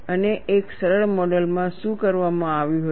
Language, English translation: Gujarati, And what was done in a simplistic model